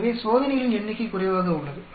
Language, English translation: Tamil, So, the number of experiments are less